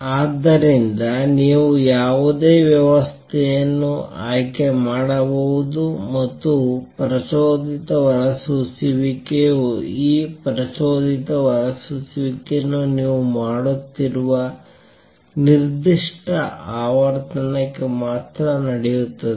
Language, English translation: Kannada, So, you can choose any system and the stimulated emission will take place only for that particular frequency with which you are doing this stimulated emission